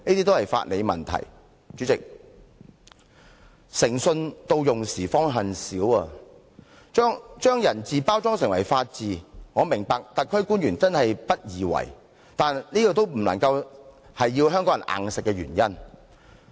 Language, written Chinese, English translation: Cantonese, 代理主席，"誠信到用時方恨少"，要把人治包裝成法治，我明白特區官員真的不易為，但總不成硬要港人接受吧？, Deputy President one must regret for the little integrity that he has when he needs it . I do understand that life has never been easy for the SAR Government officials who have to help disguise the rule of men as rule of law